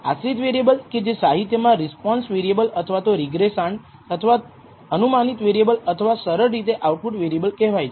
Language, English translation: Gujarati, The idea of a dependent variable which is known also in the literature as a response variable or regressand or a predicted variable or simply the output variable